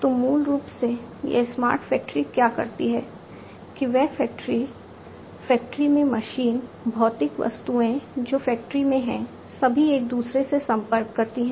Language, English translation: Hindi, So, basically this smart factory what it does is these factory, machines in the factories, the physical objects that are there in the factory, which interact with one another